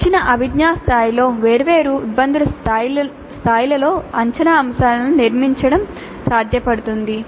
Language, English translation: Telugu, So, at a given cognitive level it is possible to construct assessment items at different cognitive, different difficulty levels